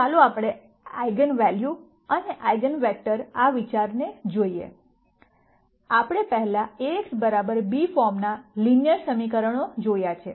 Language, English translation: Gujarati, So, let us look at this idea of eigenvalues and eigenvectors, we have previously seen linear equations of the form Ax equal to b